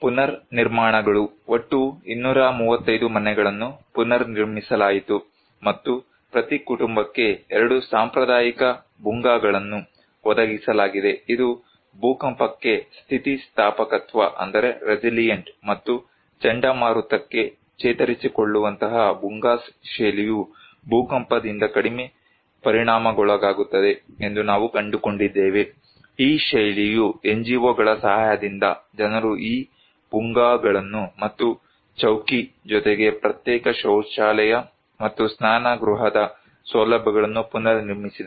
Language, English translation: Kannada, Reconstructions; total 235 houses were rebuilt and each family was provided 2 traditional Bhungas, Bhungas style that is prone to resilient to earthquake and resilient to cyclone that we found that was less affected by the earthquake, this style with the help of NGO’s, people reconstructed these Bhungas and Chowki along with the facilities for a separate toilet and bathroom